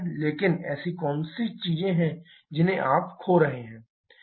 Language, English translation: Hindi, But what are the things that you are losing because of this